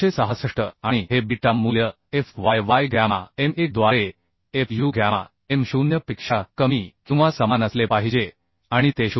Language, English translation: Marathi, 566 and this beta value has to be less than or equal to fu gamma m0 by fy gamma m1 and it has to be greater than or equal to 0